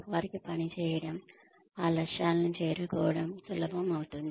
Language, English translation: Telugu, It becomes easier for them, to work towards, reaching those goals